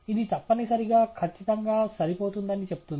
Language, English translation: Telugu, It says that essentially a perfect fit